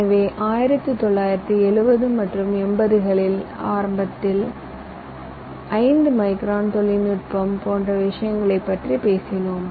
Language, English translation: Tamil, ok, so in the beginning, in the seventies and eighties, we used to talk about five micron technology and things like that